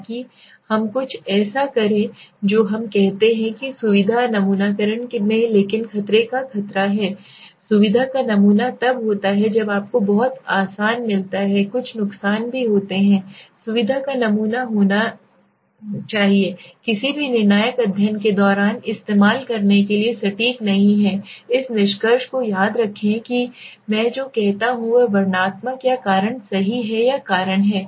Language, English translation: Hindi, So that us something like what we says in the convenience sampling but the danger of convenience sampling is when you get something very easy there are some pitfalls also convenience sampling is should be is not accurate to be used during any conclusive study please remember this conclusive means what I say is descriptive or causal right or and causal